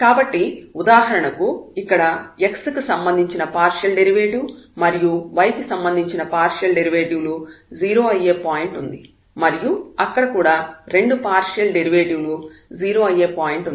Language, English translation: Telugu, So, this here for example, will be the point where the partial derivative will be 0 with respect to x and also with respect to y there will be a point here where both the partial derivatives would be 0, there will be a point here where the partial derivatives will be 0